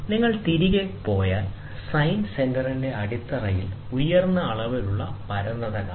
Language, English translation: Malayalam, So, if you go back, you can see the base of the sine centre has a high degree of flatness